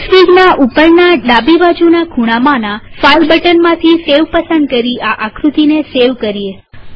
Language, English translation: Gujarati, Let us now save this figure using the file button at the top left hand corner of Xfig and choosing save